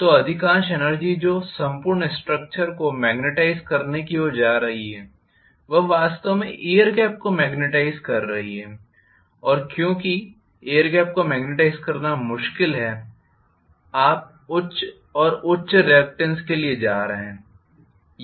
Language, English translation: Hindi, So most of the energy that is going towards magnetising the entire structure goes into actually magnetizing the air gap because the air gap is difficult to magnetize you are going to have higher and higher reluctance